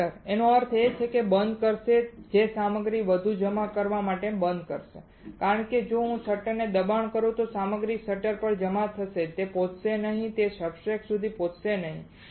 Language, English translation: Gujarati, Shutter; that means, it will shut down it will stop the material to further deposit, because if I push the shutter the material will get deposited on the shutter it will not reach the it will not reach the substrate